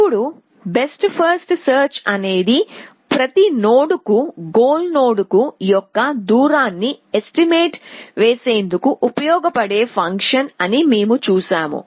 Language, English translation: Telugu, Now, we saw that what best first search use was a function which kind of estimated the distance of every node to the goal node